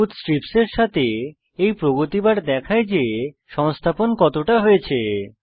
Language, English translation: Bengali, This progress bar with the green strips shows how much of the installation is completed